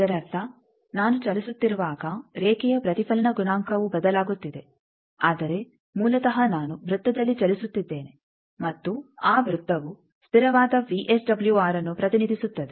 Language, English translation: Kannada, That means, when I am moving the line reflection coefficient is changing, but basically I am moving on a circle and that circle represents a constant VSWR